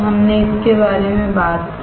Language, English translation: Hindi, We talked about it